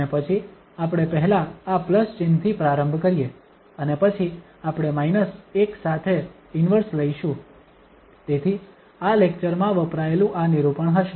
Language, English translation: Gujarati, And then we start with this plus sign first and then the inverse we take the minus one, so this will be the notation used in this lecture